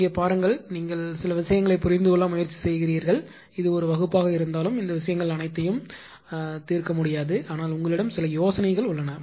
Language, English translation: Tamil, Here look here you try to understand certain things that although it is a it is not possible to solve in the class all these things, but some ideas you have